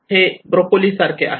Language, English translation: Marathi, It is like broccoli